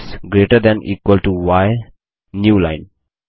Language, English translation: Hindi, x greater than equal to y new line